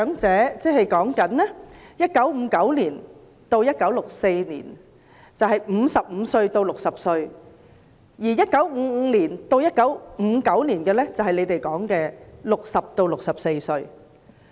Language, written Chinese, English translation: Cantonese, 在1959年至1964年出生的人，現時是55至60歲，而在1955年至1959年出生的人，就是當局說的60至64歲。, People who were born between 1959 and 1964 are now 55 to 60 years old whereas people who were born between 1955 and 1959 are those aged 60 to 64 targeted by the authorities